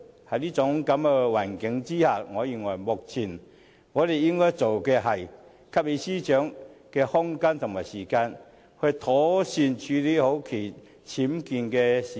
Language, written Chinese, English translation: Cantonese, 在這種情況下，我認為目前我們應該做的是，給予司長空間和時間，妥善處理好其僭建事件。, Under such circumstances I think what we should do now is to give room and time to the Secretary for Justice so that she can properly handle the UBWs incident